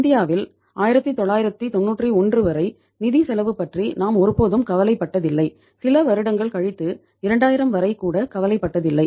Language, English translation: Tamil, Those in India we never bother about the financial cost till 1991 even some years after that till 2000 even